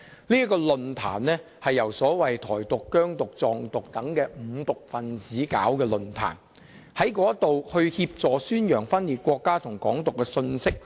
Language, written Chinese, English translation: Cantonese, 這個論壇是由所謂"台獨"、"疆獨"、"藏獨"等"五獨"分子合辦，協助宣揚分裂國家和"港獨"的信息。, The forum co - organized by five groups of separatists including Taiwan independence Xinjiang independence and Tibet independence supporters propagated secession and Hong Kong independence messages